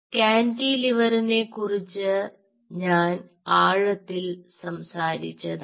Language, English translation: Malayalam, i have already talked about in depth about cantilever